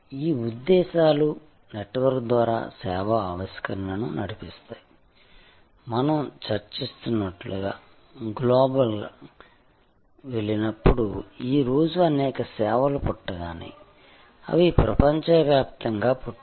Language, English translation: Telugu, These motives drive the service innovation over network, there are of course, when you go global as we were discussing, many services today as they are born, their born global